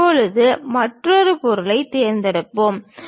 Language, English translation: Tamil, Now, let us pick another object